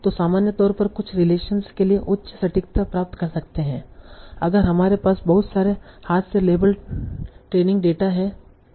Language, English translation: Hindi, So in general it can achieve very high accuracy for some relations and if we have lots of hand label training data